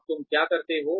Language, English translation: Hindi, Now, what do you do